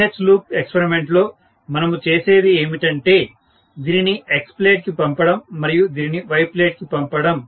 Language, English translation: Telugu, So, what we do in the BH loop experiment is to send this to X plate and send this to Y plate